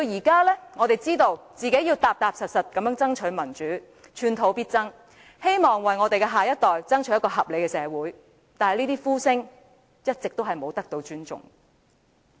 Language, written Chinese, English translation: Cantonese, 今天，我們知道必須踏實地爭取民主，寸土必爭，希望為下一代爭取一個合理的社會，但這些呼聲一直未被尊重。, Today we understand that we must adopt a pragmatic approach in striving for democracy and fighting for every inch of progress so as to secure a reasonable society for the next generation . Yet these aspirations were disregarded throughout the years